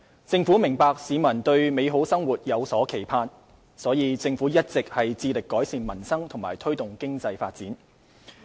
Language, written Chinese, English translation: Cantonese, 政府明白市民對美好生活有所期盼，因此政府一直致力改善民生和推動經濟發展。, The Government appreciates the public aspiration for a better life . Hence the Government has always endeavoured to improve peoples livelihood and promote economic development